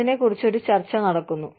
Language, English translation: Malayalam, And, there is a debate, going on